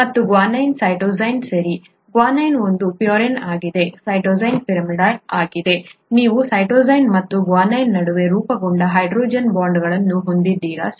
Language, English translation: Kannada, And guanine, cytosine, okay, guanine is a purine, cytosine is a pyrimidine; you have the hydrogen bonds that are formed between cytosine and guanine, okay